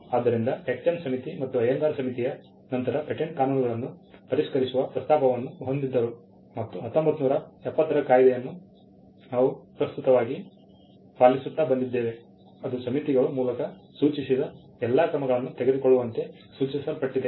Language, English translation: Kannada, So, there was a proposal by the Tek Chand Committee followed by the Ayyangar Committee to revise the patent laws and the 1970 act which is the present act that we have came as an exercise that was suggested by taking all the measures the committees had suggested